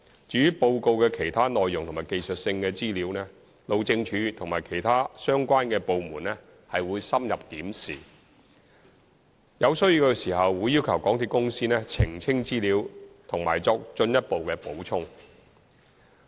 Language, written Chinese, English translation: Cantonese, 至於報告的其他內容及技術性資料，路政署和其他相關的部門深入審視，有需要時會要求港鐵公司澄清資料或作進一步補充。, As regards other contents and technical information in the report HyD will thoroughly examine and request MTRCL to make clarifications or provide supplementary information if necessary